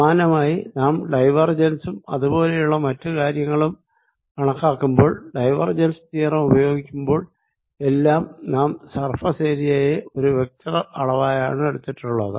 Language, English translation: Malayalam, similarly, when we were calculating divergence and things like those, and when you use divergence theorem, we took surface area as a vector